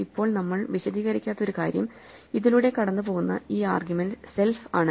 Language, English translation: Malayalam, Now one thing which we did not explain is this argument self that run through this